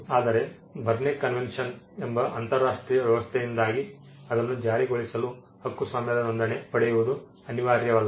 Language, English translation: Kannada, But because of an international arrangement called the Berne convention it is not necessary to get a registration of a copyright to enforce it